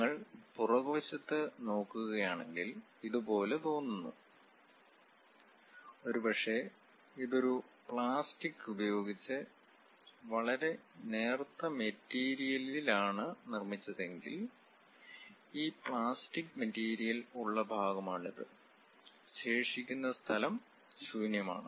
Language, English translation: Malayalam, And if you are looking back side part, it looks like; perhaps if it is made with a plastic a very thin material, this is the part where we have this plastic material and the remaining place is empty